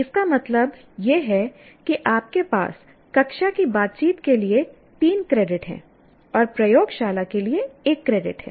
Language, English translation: Hindi, What it means is you have three credits for theory, the classroom interactions and one credit for laboratory